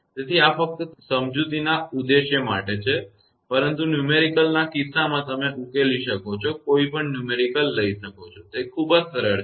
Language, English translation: Gujarati, So, this just for the purpose of explanation, but numerical case you can take any numerical you can solve; it is very simple actually